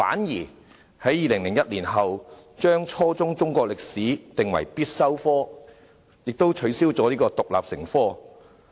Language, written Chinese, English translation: Cantonese, 2001年，中史定為初中必修科，卻取消了獨立成科。, In 2001 Chinese History was made a compulsory subject at junior secondary level but it was not made to be taught as an independent subject